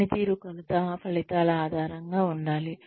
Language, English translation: Telugu, Performance measurement should be results oriented